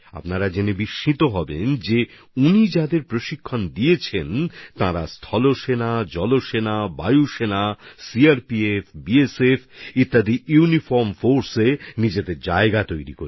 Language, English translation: Bengali, You will be surprised to know that the people this organization has trained, have secured their places in uniformed forces such as the Army, Navy, Air Force, CRPF and BSF